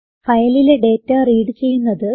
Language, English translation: Malayalam, How to read data from a file